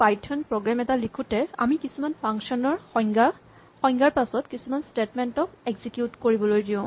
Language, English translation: Assamese, A typical python program would be written like this, we have a bunch of function definitions followed by a bunch of statements to be executed